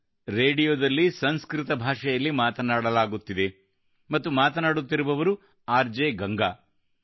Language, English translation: Kannada, This was Sanskrit being spoken on the radio and the one speaking was RJ Ganga